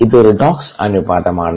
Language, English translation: Malayalam, here it is redox ratio